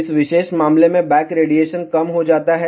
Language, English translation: Hindi, In this particular case, back radiation is reduced